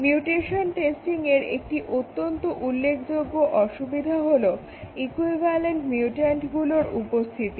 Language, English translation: Bengali, So, the problems with the mutation testing, one big problem is equivalent mutant